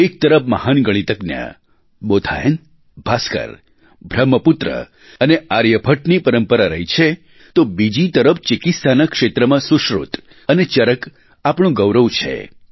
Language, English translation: Gujarati, On the one hand, there has been a tradition of great Mathematicians like Bodhayan, Bhaskar, Brahmagupt and Aryabhatt; on the other, in the field of medicine, Sushrut & Charak have bestowed upon us a place of pride